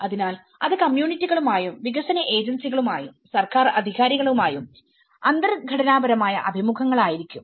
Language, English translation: Malayalam, So it could be semi structured interviews with the communities and development agencies and the government authorities